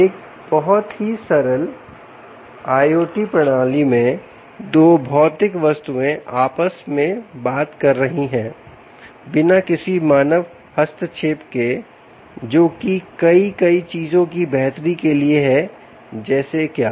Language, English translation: Hindi, a very simple i o t system: two physical objects talking to each other with no human intervention, for the betterment of many, many things, like what it could mean savings in power